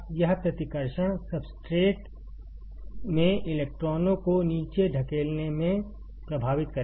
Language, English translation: Hindi, This repulsion will effect in the pushing the electrons down into the substrate